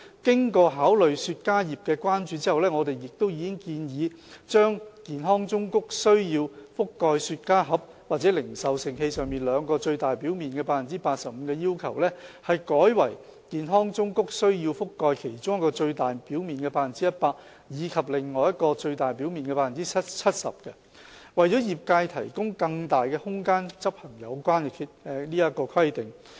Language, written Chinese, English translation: Cantonese, 經考慮雪茄業界的關注後，我們亦已建議把健康忠告須覆蓋雪茄盒或零售盛器上兩個最大表面的 85% 的要求，改為健康忠告須覆蓋其中一個最大表面的 100% 及另一個最大表面的 70%， 為業界提供更大空間執行有關規定。, After duly considering the views expressed by the cigar trade we have also proposed to change the requirement for the health warnings to cover 85 % of two of the largest surfaces of cigar boxes or retail containers to 100 % on one of the largest surfaces and 70 % on another largest surface allowing more room for the trade to enforce such a requirement